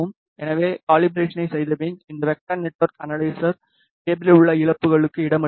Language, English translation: Tamil, So, after doing calibration this vector network analyzer accommodate the losses in the cable